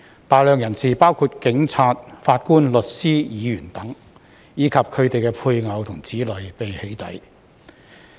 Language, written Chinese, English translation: Cantonese, 大量人士，包括警察、法官、律師、議員等，以及他們的配偶和子女被"起底"。, A large number of people including police officers judges lawyers legislators etc as well as their spouses and children have been doxxed